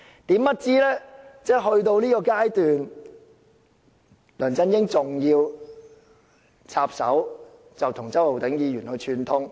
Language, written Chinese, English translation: Cantonese, 殊不知，梁振英去到這個地步還要插手，跟周浩鼎議員串通。, But even at this stage who would have thought that LEUNG Chun - ying still tried to interfere with our inquiry by colluding with Mr Holden CHOW